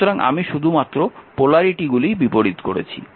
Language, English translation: Bengali, So, I have reverse the polarity